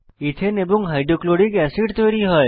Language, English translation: Bengali, Ethane and HCl are formed